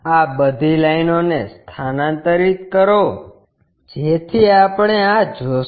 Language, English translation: Gujarati, Transfer all these lines, so that we will see, this one